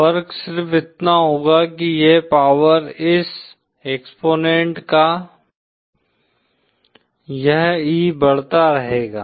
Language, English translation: Hindi, The only difference will be that this power, this exponent of this e will keep on increasing